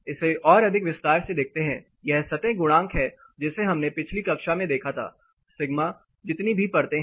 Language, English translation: Hindi, To get it more in detail this is the surface coefficient which we looked at in the last class sigma so as many layers are there